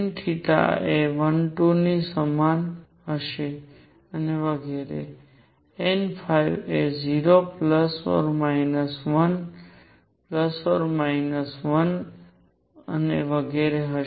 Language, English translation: Gujarati, n theta would be equal to 1 2 and so on, n phi will be 0 plus minus 1 plus minus 2 and so on